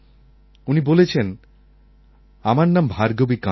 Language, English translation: Bengali, "My name is Bhargavi Kande